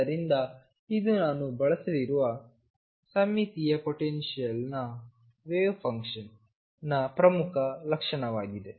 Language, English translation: Kannada, So, this is an important property of the wave function for symmetric potentials which I am going to make use of